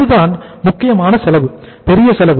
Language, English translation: Tamil, That is the main, this is the main cost, major cost